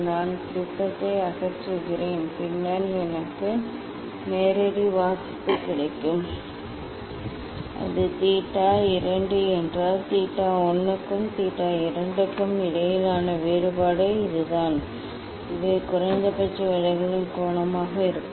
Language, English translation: Tamil, I remove the prism then I will get direct reading then if it is theta 2 then difference between theta 1 and theta 2 is this one; these will be the angle of minimum deviation